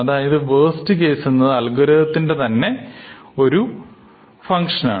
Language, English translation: Malayalam, So, the worst case input is a function of the algorithm itself